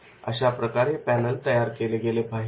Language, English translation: Marathi, So this type of the panel can that can be created